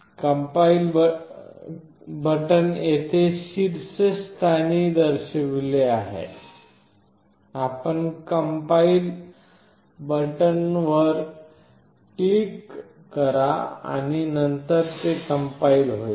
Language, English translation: Marathi, The compile button is shown here at the top; you click on the compile button and then it will compile